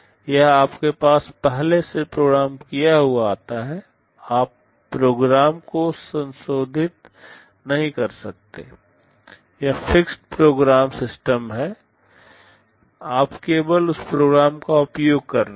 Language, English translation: Hindi, It comes to you factory programmed, you cannot modify the program, it is a fixed program system you are only using that program